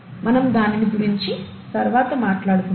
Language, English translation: Telugu, We’ll talk about that a little later from now